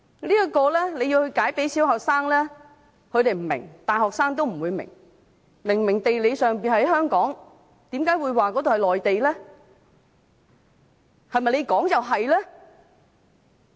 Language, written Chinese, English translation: Cantonese, 如果要向小學生解釋，他們不會明白，大學生也不會明白，明明地理上屬於香港，為何會說那裏是內地呢？, If you explain this to primary students they will not understand and neither will university students . Geographically speaking it conspicuously belongs to Hong Kong . Why do you say that it is a Mainland area?